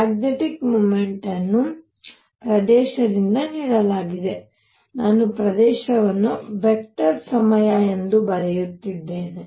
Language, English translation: Kannada, Magnetic moment is given by area, I am writing area as a vector times I